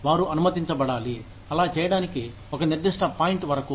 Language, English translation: Telugu, They should be allowed, to do that, up to a certain point